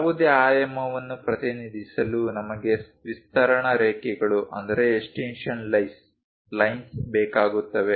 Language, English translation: Kannada, If to represent any dimensions we require extension lines